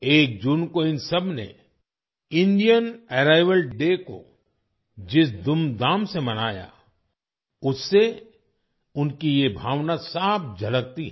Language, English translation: Hindi, The way they celebrated Indian Heritage Day on the 1st of June with great jubilation reflects this feeling